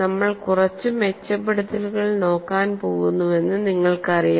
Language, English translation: Malayalam, You know we are going to look at quite a few improvements